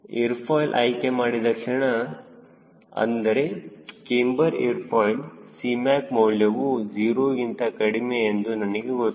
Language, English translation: Kannada, the moment i select an aerofoil, cambered aerofoil, i know cmac is less than zero